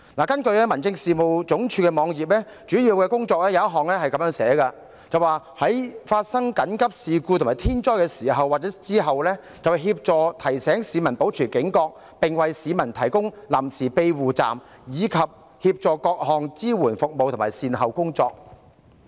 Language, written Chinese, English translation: Cantonese, 根據民政事務總署的網頁，該署其中一項主要工作如下："在發生緊急事故和天災的時候及之後，協助提醒市民保持警覺，並為市民提供臨時庇護站，以及協調各項支援服務和善後工作。, According to the homepage of the Home Affairs Department one of its main tasks is to assist in alerting residents and providing temporary shelters as well as coordinating relief services in emergency situations and during or after natural disasters